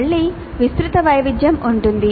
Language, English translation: Telugu, There can be again wide variation